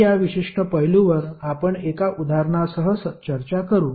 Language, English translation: Marathi, So, this particular aspect we will discuss with one example